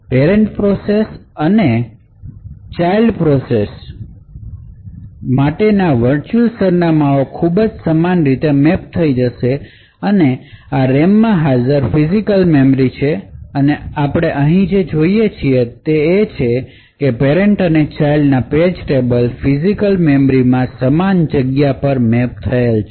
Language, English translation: Gujarati, Although virtual addresses for parent process and the child process would get mapped in a very similar way, so this is the physical memory present in the RAM and what we see over here is that the page tables of the parent as well as the child would essentially map to the same regions in the physical memory